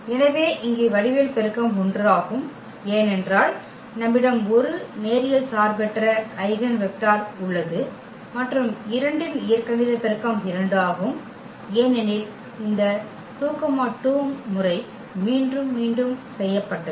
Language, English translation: Tamil, So, here the geometric multiplicity is 1, because we have 1 linearly independent eigenvector and the algebraic multiplicity of 2 is 2 because this 2 was repeated 2 times